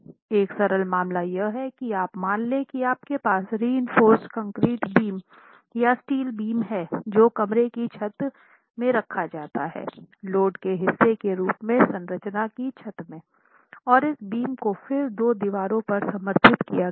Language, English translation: Hindi, A simple case here is let us assume that you have beams, reinforced concrete beams or a steel beam that is placed in the roof of the room, in the roof of the structure as part of the load carrying system and this beam is then supported on two walls